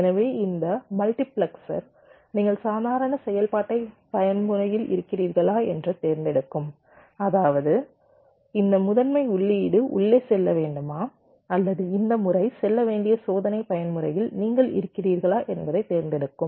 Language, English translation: Tamil, so this multiplexor will be selecting whether i mean you are in the normal mode of operation, where this primary input should go in, or you are in the test mode where this pattern should go in